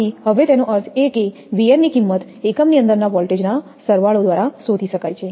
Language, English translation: Gujarati, So, now that means, the value of V n can be found by equating the sum of voltages that are across the unit